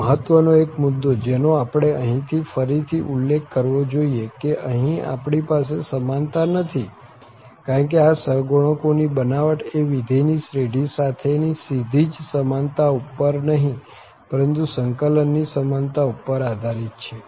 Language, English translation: Gujarati, And, the one important point which we should again mention here that we do not have the equality here, because these construction of these coefficients is done based on the equality of the integrals not direct equality of the function with the series here